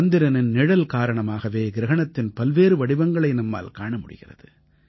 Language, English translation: Tamil, Due to the shadow of the moon, we get to see the various forms of solar eclipse